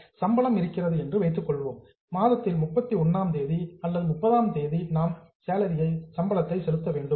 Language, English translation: Tamil, So, we are supposed to pay salary on 31st of the month or 30th of the month